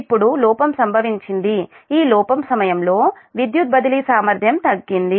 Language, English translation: Telugu, during fault, that power transfer capability had decreased